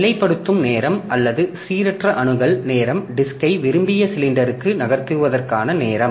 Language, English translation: Tamil, Positioning time or random access time is time to move disk come to the desired cylinder